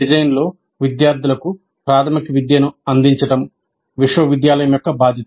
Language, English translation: Telugu, It is the university's obligation to give students fundamental education in design